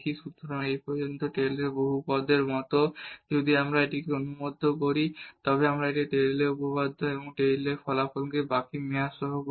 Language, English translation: Bengali, So, this is like a Taylor’s polynomial up to this point here and if we include this one then we call this the Taylor’s theorem or Taylor’s result including the remainder term